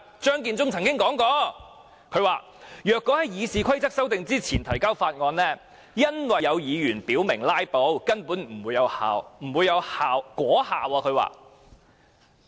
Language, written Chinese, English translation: Cantonese, 張建宗曾說，如果在《議事規則》修訂之前提交條例草案，由於有議員表明會"拉布"，故根本不會有果效。, Matthew CHEUNG said that as some Members had stated their intention to filibuster the introduction of the Bill before the amendment of RoP would not bear fruit